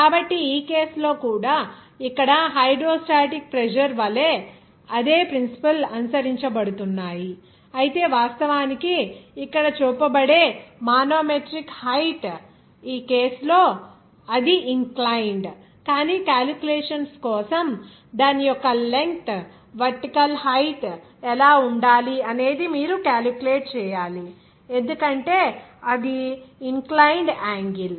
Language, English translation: Telugu, So, in this case also here, the same principles is being followed like hydrostatic pressure, but here the manometric height that will be actually be shown in here, in this case, it will be inclined, but for the calculation, you have to calculate what should be the vertical height of that just because of what is that inclined angle it will come